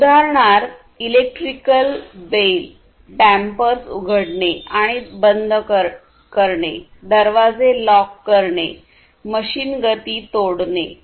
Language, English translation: Marathi, So, electric bell opening and closing of dampers, locking doors, breaking machine motions and so on